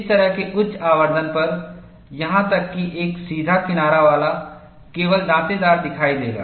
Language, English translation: Hindi, At such high magnification, even a straight edge would appear jagged only